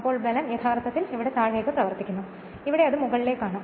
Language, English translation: Malayalam, Then we force actually acting downwards here and here it here it is upward right